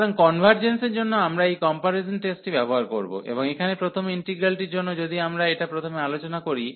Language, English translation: Bengali, So, for the convergence, we will use this comparison test and for the first integral here, if we discussed first